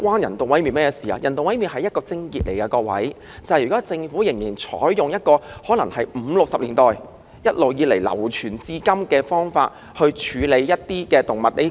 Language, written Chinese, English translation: Cantonese, 人道毀滅是問題的癥結，因為政府現時仍採用可能由1950年代、1960年代流傳至今的方法處理動物問題。, Animal euthanasia is the crux of the problem because the Government is still adopting a method which has been in use since the 1950s or 1960s to manage the animal problem